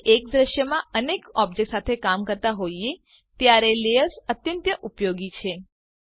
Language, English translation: Gujarati, Layers is very useful when working with mutiple objects in one scene